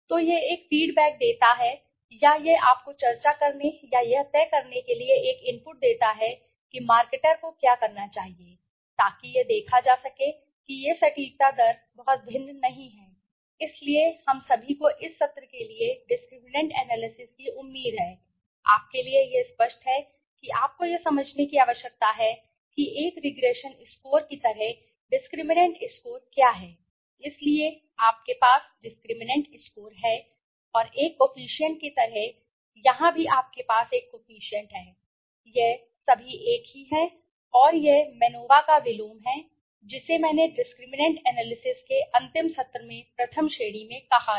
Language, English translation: Hindi, So, this gives a feed back or it gives you a input to discuss or to decide what should the marketer do to in order to see that this accuracy rate does not differ to much right so this is all we have for this session I hope discriminant analysis is clear to you so you need to understand what is the discriminant score right like a regression score you have discriminant score so and the like a coefficient here also you have a coefficient it is all same and it is the inverse of MANOVA which I have said it is a inverse of MANOVA which I have said in the first class in the last session of discriminant analysis